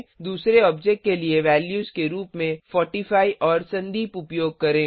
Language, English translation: Hindi, Use 45 and Sandeep as values for second object